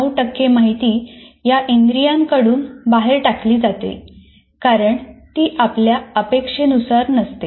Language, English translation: Marathi, 9% of the information gets thrown out because it is not relevant to what we are interested